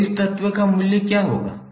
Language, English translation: Hindi, So what would be the value of this element